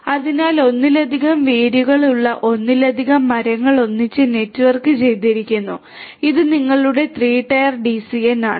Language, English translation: Malayalam, So, multiple trees with multiple roots networked together this is your 3 tier DCN